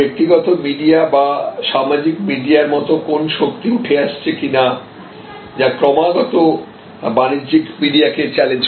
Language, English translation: Bengali, So, whether there is a strong emerging force like the personal media or social media, which is constantly challenge, challenging the commercial media